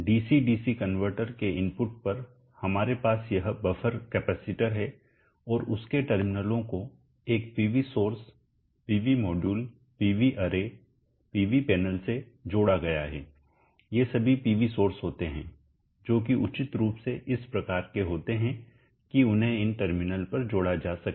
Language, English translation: Hindi, So this is the output of the Dc Dc converter, power is flowing like this, on the input of the DC DC converter we have this buffer capacitors and the terminals of that is connected to a PV source, PV module, PV array, PV panel all these are PV sources appropriately sized such that it is connected to this terminal